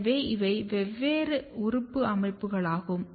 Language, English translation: Tamil, So, these are different organ patterning’s